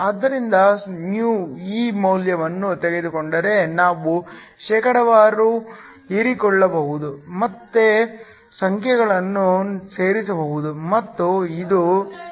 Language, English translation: Kannada, So, Taking this value of mu we can calculate the percentage absorbed, can again plug in the numbers and this is 93